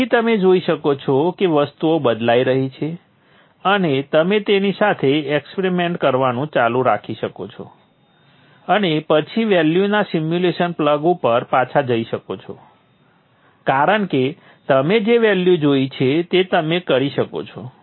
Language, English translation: Gujarati, So you will see things changing and then you can keep experimenting with it and then go back to the simulation, plug in the values and see what are the values that you would get